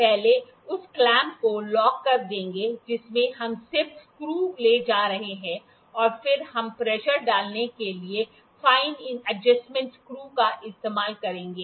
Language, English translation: Hindi, First will lock the clamp in which we are just moving screw then we will then we have then we will use the fine adjustments screw to provide to put the pressure